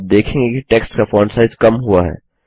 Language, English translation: Hindi, You see that the font size of the text decreases